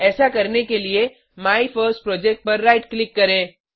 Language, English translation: Hindi, To do so, right click on MyFirstProject